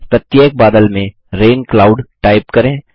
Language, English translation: Hindi, Type Rain Cloud in each cloud